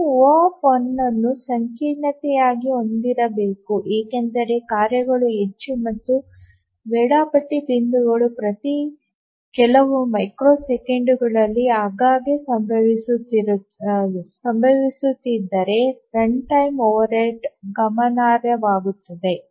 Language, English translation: Kannada, We should ideally have O1 as the complexity because if the tasks are more and the scheduling points occur very frequently every few microseconds or so, then the runtime overhead becomes significant